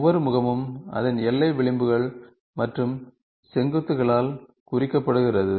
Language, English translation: Tamil, Each face is represented by it is bounding address and vertices